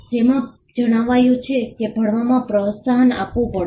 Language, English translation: Gujarati, It stated that there has to be encouragement of learning